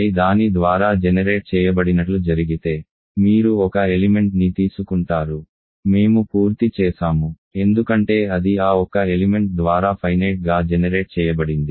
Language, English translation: Telugu, You take an element if it just happens that I is generated by that, we are done because it is finitely generated by that single element